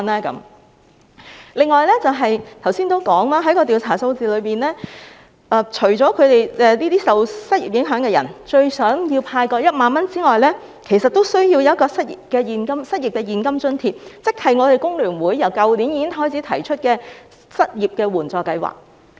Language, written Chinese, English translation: Cantonese, 此外，我剛才也提到，從調查數字中可見，除了受失業影響的人最想獲派發1萬元外，其實他們也需要當局提供失業現金津貼，即工聯會於去年已提出的失業援助計劃。, Moreover as I mentioned earlier according to the survey findings apart from the most sought - after 10,000 handout the people affected by unemployment also want the authorities to provide cash allowance for the unemployed that is the unemployment assistance scheme proposed by FTU last year